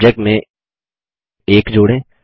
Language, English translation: Hindi, Add the number 1 in the Subject